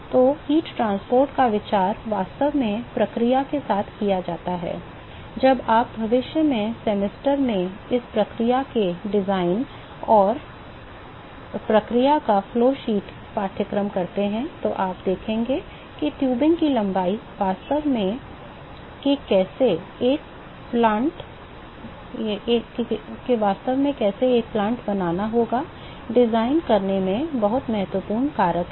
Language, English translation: Hindi, So, the idea of heat transport is actually done along with the process, when you do this process design and process flow sheet courses in the future semesters, you will see that the length of the tubing actually is the very important factor in designing how a plant has to be made